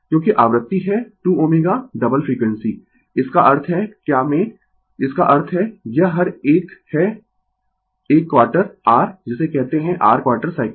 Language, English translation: Hindi, Because, frequency is 2 omega right double frequency; that means, in what; that means, this each one is a quarter your what you call your quarter cycle